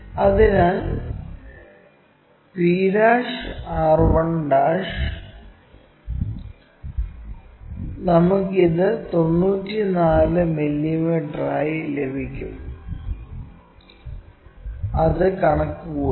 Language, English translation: Malayalam, So, p' r 1' we will get it as 94 mm, let us calculate that